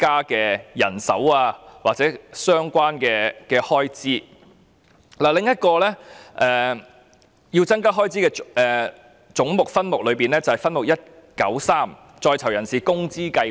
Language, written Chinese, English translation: Cantonese, 在這個總目下另一個需要增加開支的分目是分目193在囚人士工資計劃。, Under this head it is also necessary to increase the expenditure for Subhead 193 Earnings scheme for persons in custody